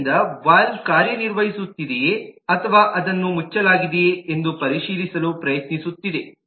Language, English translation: Kannada, so it is trying to check if the valve at all is working or it has been closed down